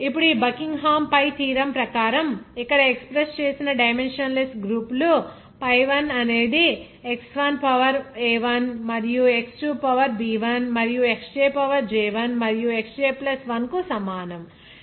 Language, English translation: Telugu, Now the dimensionless groups that expressed as here according to this Buckingham pi theorem that pi I is equal to X1 to the power a1 and X2 to the power b I and Xj to the power j I and that into Xj +1